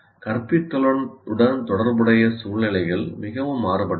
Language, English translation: Tamil, The first thing is situations associated with instruction are very varied